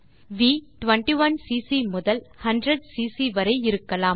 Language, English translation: Tamil, V can be in the range from 21cc to 100cc